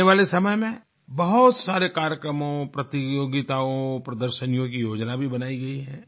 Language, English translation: Hindi, In the times to come, many programmes, competitions & exhibitions have been planned